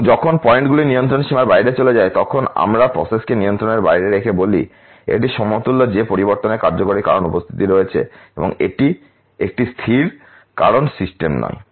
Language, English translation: Bengali, And when the points fall outside the control limit we say with the process out of control this is equivalent to saying that assignable causes of variation are present and this is not a constant cause system